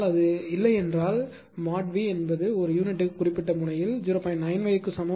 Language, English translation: Tamil, But if it is not, suppose mod V is equal to at particular node 0